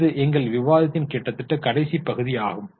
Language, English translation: Tamil, So, this was almost the last part of our discussion